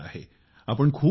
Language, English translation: Marathi, It is already late